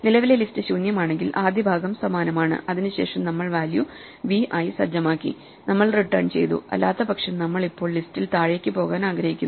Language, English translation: Malayalam, The first part is the same if the current list is empty then we just set the value to be v and we return, otherwise we now want to walk down the list